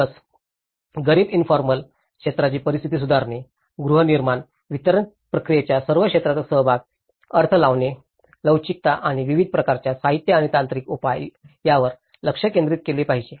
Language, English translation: Marathi, Focus; the focus is also should be laid on improving conditions of the poor informal sectors, participation of all sectors of housing delivery process, flexible to allow for interpretations, variety of materials and technical solutions